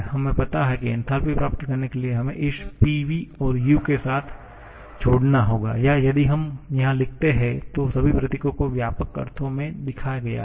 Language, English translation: Hindi, We know to get enthalpy; we have to add this PV with this H sorry with U or if we write in here all symbols are shown in extensive sense